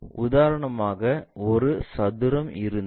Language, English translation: Tamil, For example, if we have a square